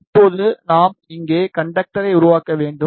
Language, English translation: Tamil, Now, we should make conductor here